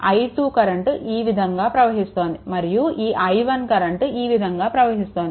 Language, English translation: Telugu, Another thing is this i i 2 is moving this way; and this i 1 is moving this way this is your i 1